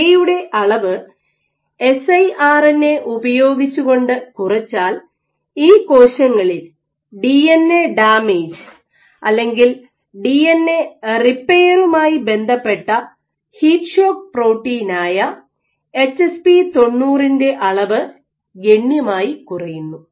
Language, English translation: Malayalam, So, when they did a deep knockdown of lamin A using siRNA, what they found was in these cells, you have this HSP90 heat shock protein is a protein which is associated with DNA damage or DNA repair expression of HSP90 was significantly dropped